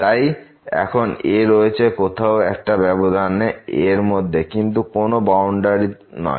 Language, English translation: Bengali, So now, is somewhere inside the interval not at the boundary